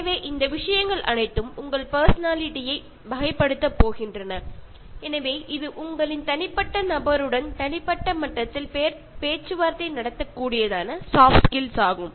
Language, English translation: Tamil, So, all these things are going to typify your personality, and this is a soft skill that when you are able to negotiate with individual to individual level